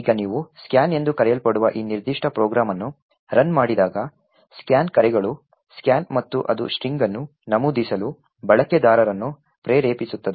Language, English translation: Kannada, Now when you run this particular program main called scan, scan calls scanf and it prompts the user to enter a string